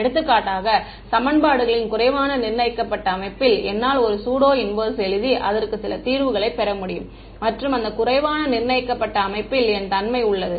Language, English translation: Tamil, For example, in an underdetermined system of equations, I can write a pseudo inverse and get some solution for x and that x has what property an underdetermined system